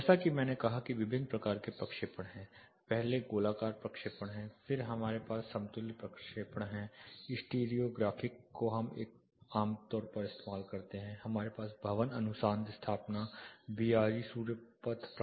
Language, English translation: Hindi, (Refer Slide Time: 06:50) As I said there are different types of projections; first is spherical projection, then we have equidistant projection, stereographic this is what most commonly we use, then we have the building research establishment BRE sun path projection